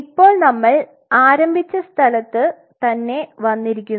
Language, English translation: Malayalam, Now having seen this where we started